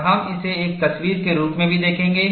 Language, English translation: Hindi, And we will also see, that has a picture